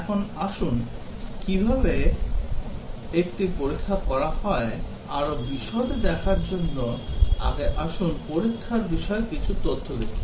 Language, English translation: Bengali, Now, let us see before we start looking into how does one test in more detail, let us see some facts about testing